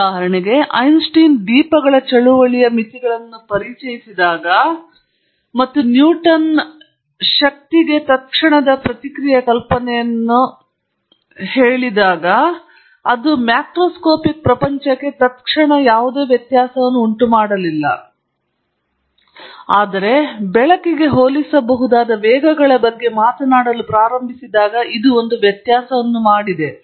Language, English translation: Kannada, For example, when Einstein introduced the limitations of lights movement, and Newton’s idea of instantaneous reaction to a force was lost, it did’nt make any difference to the macroscopic world; it only made a difference when you started talking about speeds comparable to light